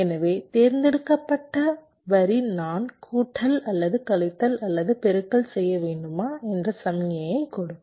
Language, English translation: Tamil, so the select line will give the signal whether i need to do the addition or subtraction or multiplication